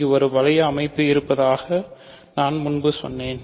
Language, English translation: Tamil, So, this I told you earlier there is a ring structure on this ok